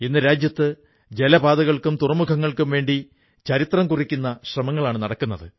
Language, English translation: Malayalam, Today there are landmark efforts, being embarked upon for waterways and ports in our country